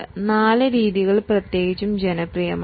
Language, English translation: Malayalam, Four methods are particularly popular